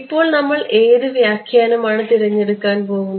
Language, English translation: Malayalam, Now which interpretation now we are going to choose